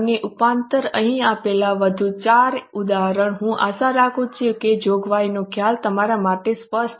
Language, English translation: Gujarati, And plus four more examples given here, I hope the concept of provision is clear to you